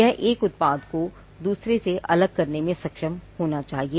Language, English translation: Hindi, It should be distinguishable it should be capable of distinguishing one product from another